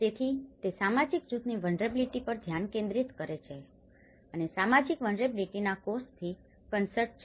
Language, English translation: Gujarati, So, it focuses on the vulnerability of a social group and is concerned with the causes of the social vulnerability